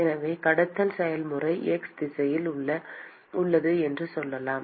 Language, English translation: Tamil, So, let us say that the conduction process is in the x direction